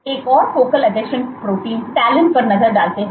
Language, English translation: Hindi, Let us look at another focal adhesion protein, this is talin